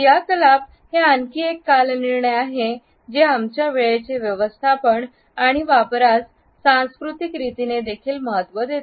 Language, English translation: Marathi, Activity is also another chronemics value our use and manage of time is defined in a cultural manner too